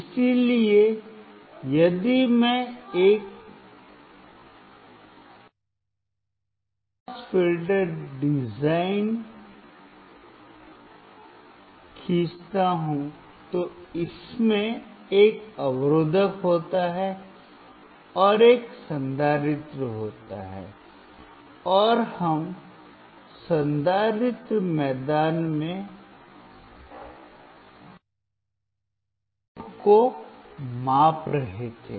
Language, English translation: Hindi, So, if I draw a low pass filter, it has a resistor, and there was a capacitor, and we were measuring the output across the capacitor ground